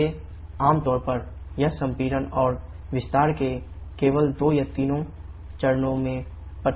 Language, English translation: Hindi, So generally it is restricted only 2 or 3 stages of compression and expansion